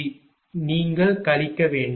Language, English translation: Tamil, So, you have to subtract